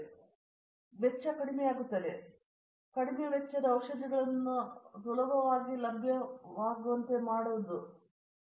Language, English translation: Kannada, So, the cost will come down, cost only is not the criterion the drugs will be easily available